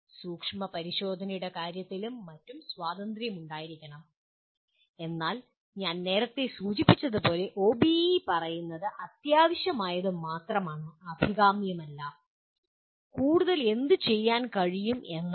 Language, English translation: Malayalam, There should be freedom in terms of exploration and so on but as I mentioned earlier this is the OBE only states what is essential, not what is desirable and what more can be done